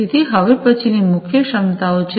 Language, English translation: Gujarati, So, the next one is the core competencies